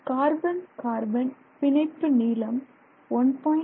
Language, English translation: Tamil, And the carbon carbon bond length here is 1